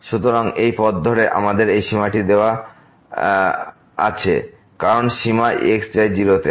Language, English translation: Bengali, So, along this path we have this limit the given limit as the limit goes to